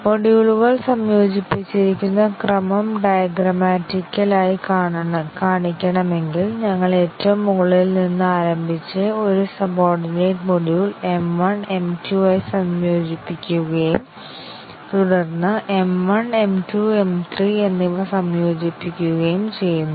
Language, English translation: Malayalam, If we want to show a diagrammatically that the order in which the modules are integrated, we start with the top most and then integrate a subordinate module M 1 with M 2, and then integrate M 1, M 2 and M 3 together